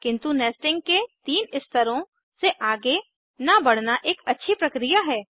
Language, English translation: Hindi, But it is a good practice to not go beyond 3 levels of nesting